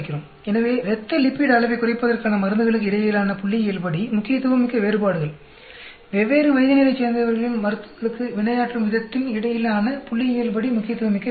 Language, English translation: Tamil, So, statistical significant differences between the drugs in lowering the blood lipid level; statistically significant differences between the way the people from different age groups respond